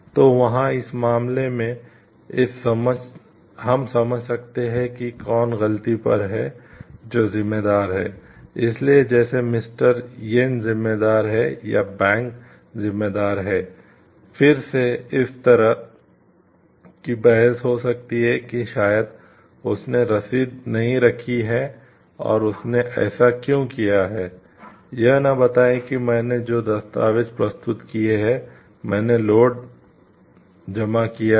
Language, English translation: Hindi, So, there in this case we can understand who is at fault who is responsible, so like mister yen is responsible or the bank is responsible there could be again debates of a like why maybe he has not kept the receipt and why the he did not tell like I have submitted the documents I have submitted the load